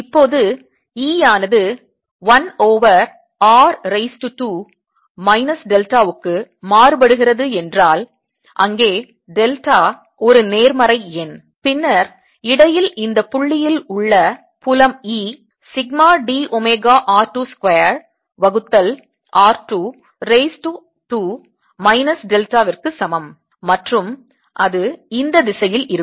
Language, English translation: Tamil, now let's take if e varies as one over r tracer, two minus delta, where delta is a positive number, then the field at the this point in between is going to be e sigma d omega r two square, divided by r two raise to two minus delta, and that's going to be in this direction